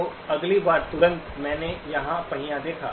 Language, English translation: Hindi, So the next time instant I saw the wheel here